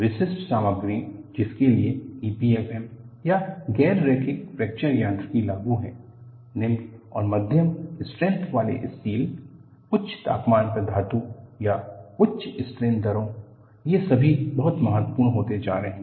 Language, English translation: Hindi, Typical materials for which E P F M or Non linear Fracture Mechanics is applicable are low and medium strength steel, metals at high temperatures or high strain rates; these are all becoming very important